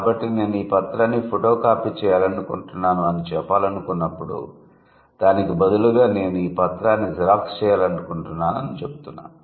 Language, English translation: Telugu, So, if you want to say, I want to photocopy my document instead of that, you can simply say, I want to Xerox my document